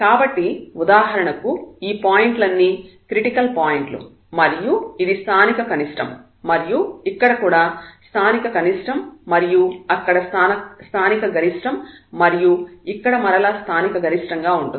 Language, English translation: Telugu, So, all these points for example, the critical points and for this will be like the local minimum here also local minimum there will be local maximum here again this is local maximum